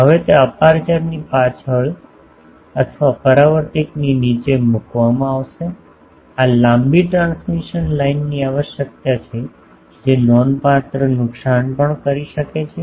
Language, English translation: Gujarati, Now, that will be placed behind the aperture or below the reflector this necessitates long transmission line which may give also a significant loss